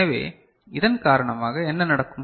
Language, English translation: Tamil, So, what would happen because of this